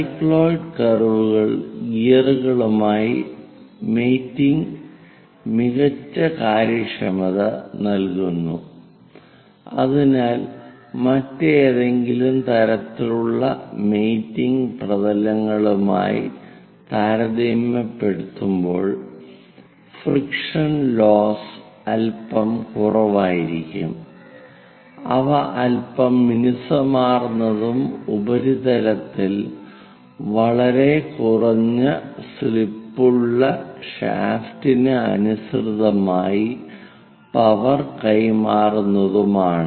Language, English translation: Malayalam, The cycloid curves gives better efficiency in mating the gas so that frictional losses will be bit less compared to any other kind of mating surfaces; they will be bit smooth and transmit power in line with the shaft with very less slip on the surfaces